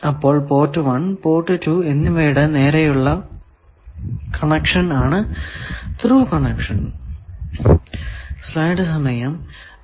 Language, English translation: Malayalam, So, direct connection of port 1 to port 2 that is called Thru connection